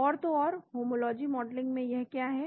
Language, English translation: Hindi, And so in homology modeling what is it down